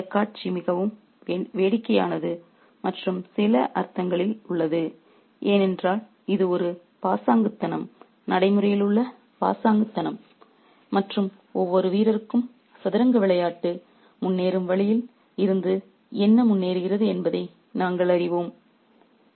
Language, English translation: Tamil, So, it's on this, this scene is very, very funny as well in some sense because it's a hypocrisy, it's a practiced hypocrisy and we know what's coming way ahead from the way the game of chess progresses for each player